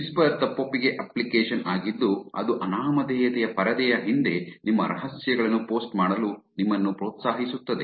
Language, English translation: Kannada, Whisper is a confessional app that encourages you to post your secrets behind a screen of anonymity